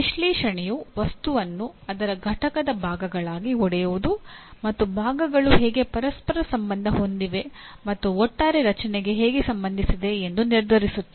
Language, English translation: Kannada, Analyze involves breaking the material into its constituent parts and determining how the parts are related to one another and to an overall structure